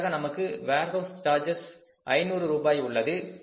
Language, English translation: Tamil, Then we have the warehouse charges, warehouse charges are say 500 rupees